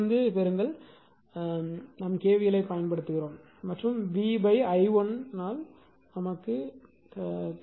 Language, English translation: Tamil, That this from here from here you please derive this from here right you derive this from here we apply k v l and solve it for v by i 1